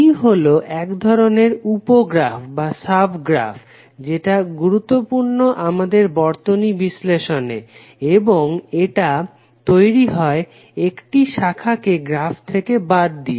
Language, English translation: Bengali, Tree is one kind of sub graph which is important for our circuit analysis and it is form by removing a branch from the graph